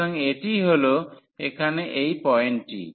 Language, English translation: Bengali, So, what is this point here